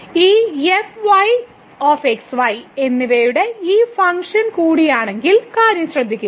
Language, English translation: Malayalam, So, note that this is also a function of and